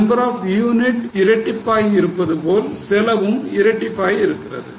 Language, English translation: Tamil, Number of units have doubled, the cost has also doubled